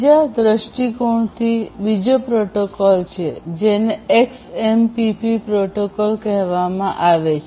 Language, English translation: Gujarati, From another point of view there is another protocol which is called the XMPP protocol